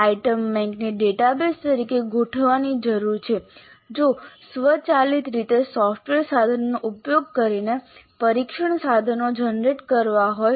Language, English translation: Gujarati, The item bank needs to be organized as a database if test instruments are to be generated using software tools